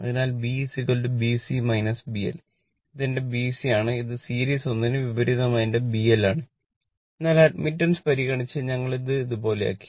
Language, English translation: Malayalam, So, where B is equal to B C minus B L right, this is my B C and this is my B L just opposite like your series one, but we have made it like this considering admittance